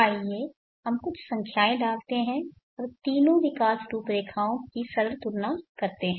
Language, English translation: Hindi, Let us put some numbers and make a simple comparison of the three growth profiles